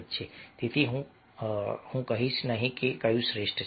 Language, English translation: Gujarati, so i am not say that which one is the best one